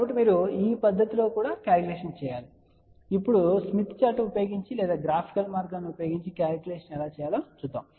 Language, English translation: Telugu, So, this is the way you can do the calculation; now, will tell you, how to do the calculation using the smith chart or using the graphical way